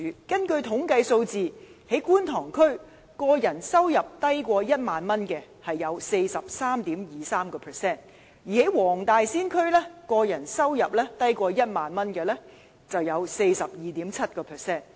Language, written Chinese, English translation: Cantonese, 根據統計數字，觀塘區個人收入低於1萬元的人口佔 43.23%， 而黃大仙區個人收入低於1萬元的佔 42.7%。, According to statistics in the Kwun Tong District the population with a personal income of less than 10,000 makes up 43.23 % while in the Wong Tai Sin District that with a personal income of less than 10,000 accounts for 42.7 %